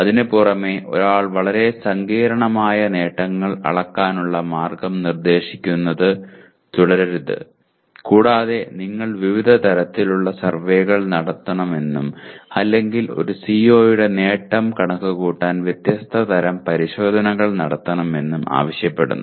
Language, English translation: Malayalam, And in addition to that one should not keep proposing very complicated way of measuring attainment and which also demands that you conduct different kinds of surveys or you conduct different type of tests to merely compute the attainment of a CO